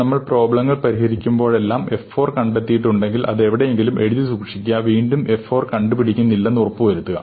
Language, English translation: Malayalam, Whenever we have solved a problem, if have found f of 4, just look it up, store it somewhere, look it up and make sure that you do not do f 4 again